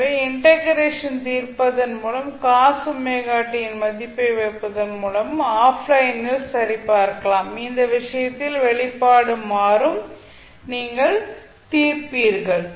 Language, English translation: Tamil, So, this you can verify offline by solving the integration and putting up the value of cos omega t, the expression will change in that case and you will solve